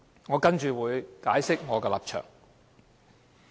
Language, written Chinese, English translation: Cantonese, 我接下來會解釋我的立場。, I am now going to explain my position